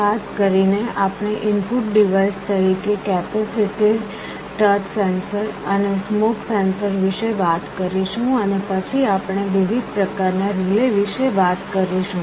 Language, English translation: Gujarati, Specifically, we shall be talking about capacitive touch sensor as an input device, smoke sensor also as an input device, and then we shall be talking about different kinds of relays